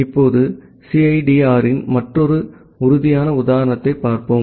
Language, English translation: Tamil, Now, let us see another concrete example of CIDR